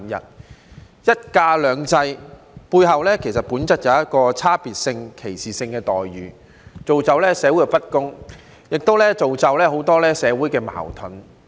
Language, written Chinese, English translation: Cantonese, 在"一假兩制"背後，本質上就存在差別性及歧視性的待遇，造成社會不公，亦造成很多社會矛盾。, Under one holiday two systems treatment of employees is essentially discriminatory and biased . This has resulted in social injustice and many conflicts in society